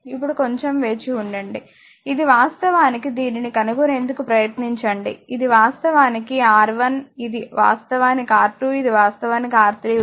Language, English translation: Telugu, Now, just hold on this is actually if you try to find out this is R 1 this is actually this one actually your R 1, this is actually your R 2 and this is actually is R 3 right